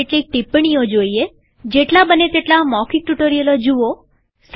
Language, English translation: Gujarati, Some tips: Go through as many spoken tutorials as possible